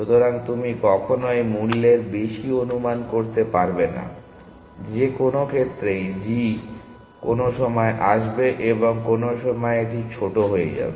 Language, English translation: Bengali, So, you can never over estimate the cost to in any case g will come at some point and the some point this will become the smaller